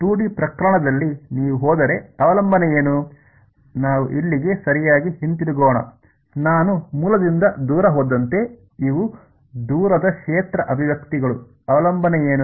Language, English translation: Kannada, In the 2D case what was the dependence if you go let us go back over here all the way right, as I went far away from the origin these are the far field expressions what is the dependence like